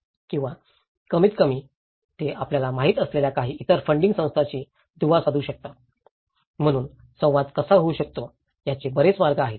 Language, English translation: Marathi, Or at least, they can link with some other funding agencies you know, so there were various ways how a dialogue can happen